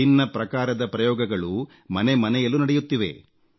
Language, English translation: Kannada, All sorts of experiments are being carried out in every family